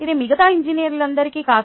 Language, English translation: Telugu, this is not for all other engineers